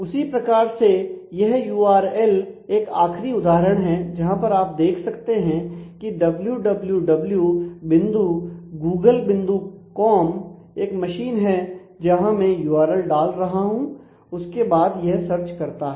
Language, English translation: Hindi, Similarly, this such URL can also in the last example you can see that www [dot] Google [dot] com is the basic machine where I am putting the URL and then the rest of it is search